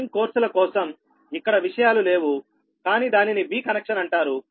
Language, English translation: Telugu, those things for the meshing courses, not here, but that is called v connection